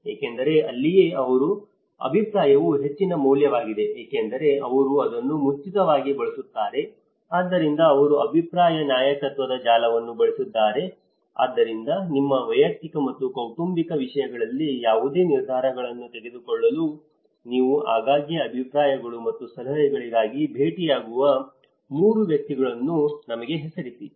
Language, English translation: Kannada, Because that is where because their opinion is a higher value because they are the one who used it in the first and forehand, opinion leader score; so they have used the kind of opinion leadership network so, please name us 3 persons with whom you often turn for opinions and suggestions to make any decisions on your personal and family matters